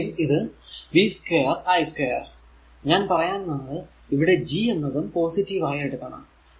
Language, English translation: Malayalam, So, the here also it is v square i square, here I mean G is taken positive it is reciprocal of resistance